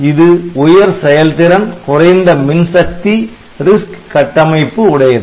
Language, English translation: Tamil, So, it is a high performance low power RISC architecture it is a low voltage